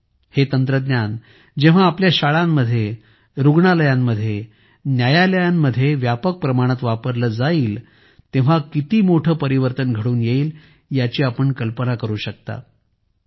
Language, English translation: Marathi, You can imagine how big a change would take place when this technology starts being widely used in our schools, our hospitals, our courts